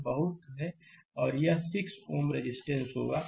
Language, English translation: Hindi, This much and this will be your 6 ohm resistance